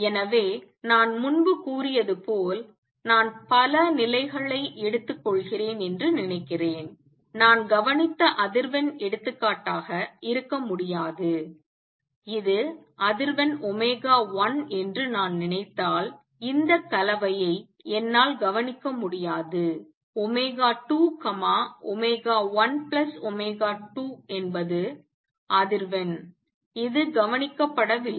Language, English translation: Tamil, So, as I said earlier suppose I take many many levels, the frequency that I observed cannot be for example, I cannot observe this combination if I take suppose this is frequency omega 1 this is frequency omega 2 omega 1 plus omega 2 is not observed